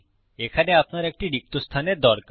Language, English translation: Bengali, Okay, you need a space out there